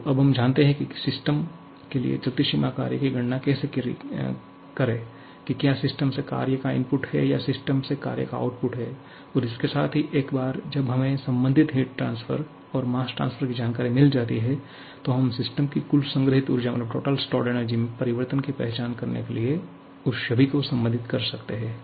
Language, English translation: Hindi, So, now we know how to calculate the moving boundary work for a system whether work input to the system or work output from the system and along with that once we have the information about corresponding heat transfer and mass transfer, then we can relate all of them to identify the change in the total stored energy of the system